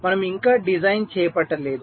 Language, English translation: Telugu, we are yet to carry out the design